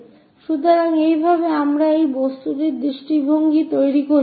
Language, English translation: Bengali, So, this is the way we generate the views of the object